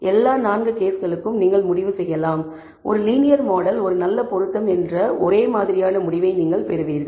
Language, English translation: Tamil, And you may conclude for all 4 cases, you will get the same identical result that a linear model is a good fit